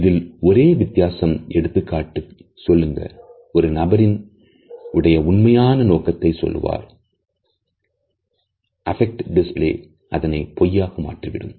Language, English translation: Tamil, The only difference is that illustrators, illustrate the true intention of a person, but affect displays allow us to tell a lie